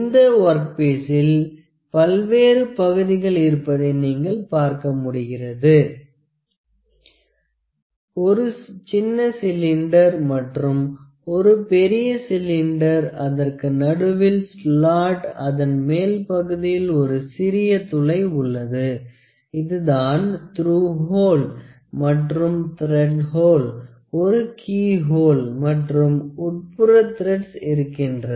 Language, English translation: Tamil, So, I can see you know now this work piece has various portions, it has a small cylinder, it has a big cylinder, you have a slot in between, ok, then we have a small hole on the upper side basically, this is the through hole and also we have a thread hole a keyhole that is also thread there internals thread here